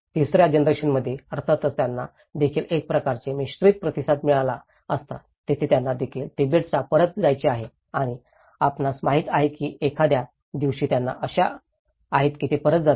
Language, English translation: Marathi, Where in the third generation, obviously, they also have could have a kind of mixed response where they also want to go back to Tibet and you know, someday that they hope that they go back